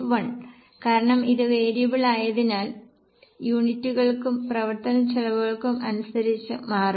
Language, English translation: Malayalam, 1 because it is variable it will change by units as well as by operating costs